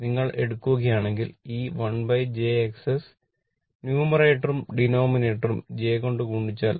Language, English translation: Malayalam, This one, this term you multiply numerator and denominator by j